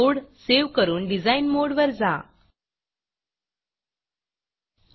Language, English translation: Marathi, Now Save the code and go back to design mode